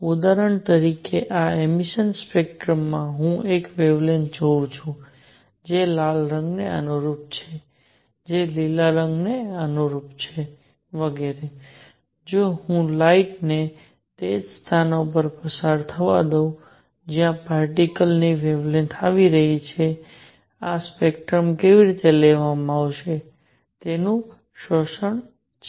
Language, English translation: Gujarati, For example, in this emission spectrum, I see a wavelength that corresponds to red corresponds to green and so on and in the absorption spectrum, if I let light pass through it at the same positions where the particle wavelengths are coming; there is an absorption how is this spectrum taken